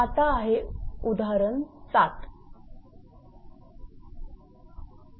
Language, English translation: Marathi, Next is example 3